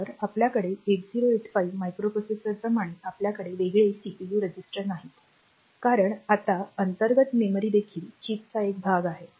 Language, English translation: Marathi, So, unlike your microprocessor like 8085, we do not have separate CPU registers because now the memory that the internal memory is also a part of the of the chip